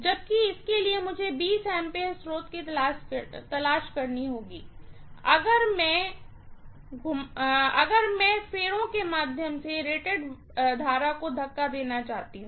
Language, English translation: Hindi, Whereas for this I have to look for a 20 amperes source if I want to push rated current through the winding, right